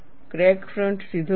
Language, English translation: Gujarati, The crack front is not straight